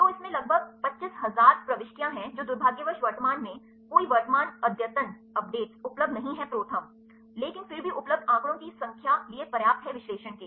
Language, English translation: Hindi, So, it contents about 25000 entries that unfortunately current a there is no current updates available ProTherm, but even then the available number of data are sufficient for the analyses